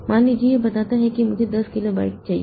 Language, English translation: Hindi, Suppose it tells that I need 10 kilobyte